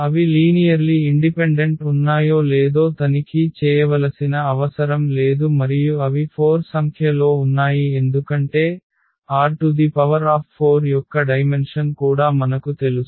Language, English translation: Telugu, So, we do not have to check we have to check that they are linearly independent and they are 4 in number because, the dimension of R 4 also we know